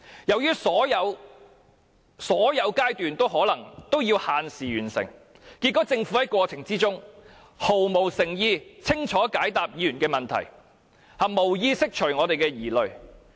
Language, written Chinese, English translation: Cantonese, 由於所有階段都要限時完成，結果政府在過程中毫無誠意去清楚解答議員的問題，也無意釋除我們的疑慮。, Since each stage has to be concluded within a time limit as a result the Government has no intention to give a clear answer to each question asked by Members during the process . It has no intention to address our concerns at all